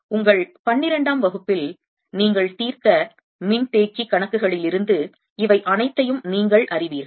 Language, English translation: Tamil, you know all this from the capacitor problems you solve in your twelfth field